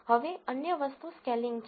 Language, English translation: Gujarati, Now the other aspect is scaling